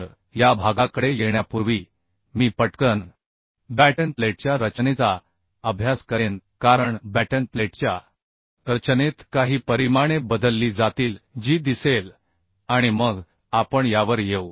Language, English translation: Marathi, So before coming to this portion I will just quickly go through the design of batten plates because in design of batten plates certain dimensions should be changed that we will see and then we will come to this